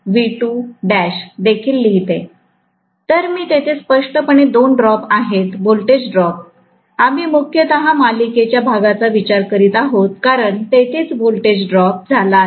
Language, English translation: Marathi, So, there are two drops clearly, voltage drops, we are considering mainly the series portion because that is where the voltage is dropped, right